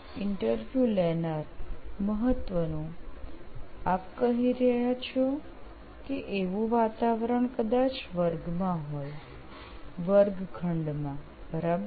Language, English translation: Gujarati, So important, you are saying this environment would probably be in the class, in the classroom, right